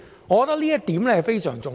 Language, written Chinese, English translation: Cantonese, 我覺得這點非常重要。, I think this is very important